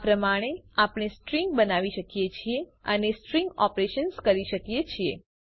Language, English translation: Gujarati, This is how we create strings and perform string operations